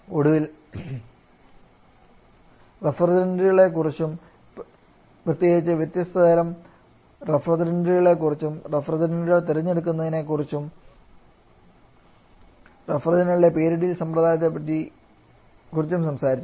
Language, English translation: Malayalam, And finally we have talked about the refrigerants particularly the different categories of refrigerants and the selection of refrigerant